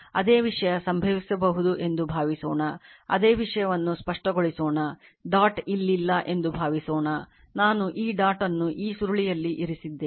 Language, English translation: Kannada, Same thing will happen suppose another thing can happen let me clear it same thing suppose dot is not here suppose I put that dot here of this coil